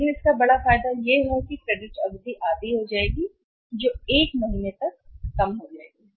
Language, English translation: Hindi, But the major advantage of that is that credit period will be half that will come down to 1 month